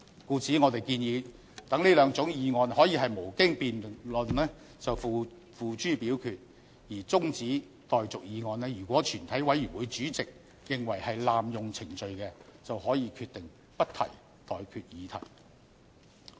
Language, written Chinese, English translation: Cantonese, 故此，我們建議讓這兩種議案可以無經辯論便付諸表決，而中止待續議案如果全體委員會主席認為是濫用程序，便可以決定不提出待決議題。, We thus propose that the question on these two types of motions can be put to vote without debate; and for adjournment motions if the Chairman of the Committee of the whole Council is of the opinion that moving such a motion is an abuse of procedure he may decide not to put the question to vote